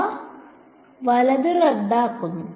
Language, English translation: Malayalam, They cancel off right